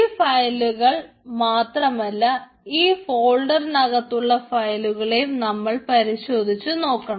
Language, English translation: Malayalam, we need to check all the files inside this, inside the folders also